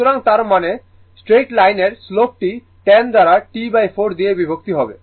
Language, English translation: Bengali, So, and that means, the slope of the straight line slope of the straight line will be this 10 divided by T by 4 right